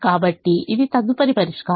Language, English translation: Telugu, so this is the next solution